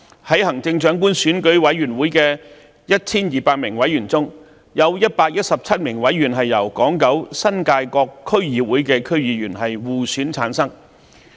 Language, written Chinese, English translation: Cantonese, 在行政長官選舉委員會的 1,200 名委員中，有117名委員由香港島、九龍及新界各區議會的區議員互選產生。, The Election Committee for the selection of the Chief Executive is composed of 1 200 members 117 of which shall be elected from among DC members of Hong Kong Island Kowloon and the New Territories